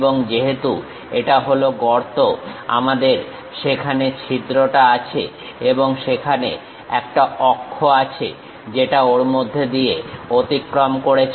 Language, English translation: Bengali, And, because this is the hole, we have that bore there and there is a axis line which pass through that